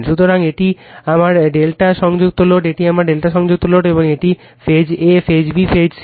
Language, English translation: Bengali, So, this is my delta connected load, this is my delta connected load right and this is phase a, phase b, phase c